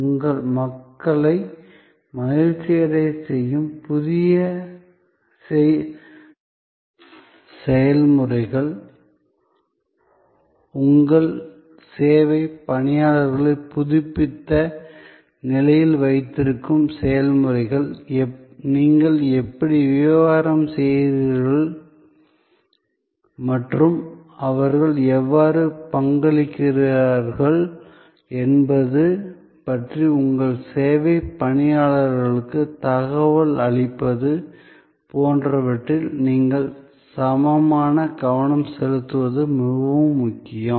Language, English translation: Tamil, It is very important that you pay equal attention to the processes that make your people happy, processes that keep your service personnel up to date, keep your service personnel informed about how you are business is doing and how they are contributing